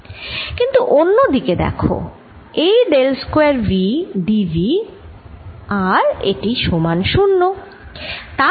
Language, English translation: Bengali, on the other hand, look at this: this: this is del square v d v and this is zero